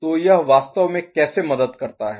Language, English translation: Hindi, So, how does it actually then help